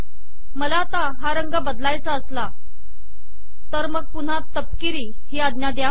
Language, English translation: Marathi, Of course, what if I want to change the color, then you put brown once again